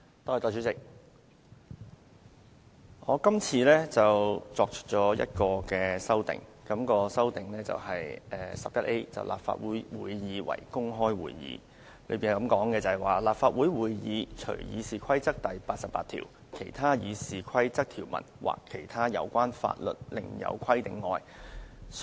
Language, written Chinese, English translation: Cantonese, 代理主席，我今次提出一項修訂，即第 11A 條，訂明立法會會議為公開會議：立法會會議須公開舉行，除《議事規則》第88條、其他《議事規則》條文或其他有關法律另有規定外。, Deputy President this time I move an amendment on adding Rule 11A of the Rules of Procedure RoP to provide that all Council meetings shall be conducted in an open manner subject to RoP 88 or otherwise as required by RoP or by law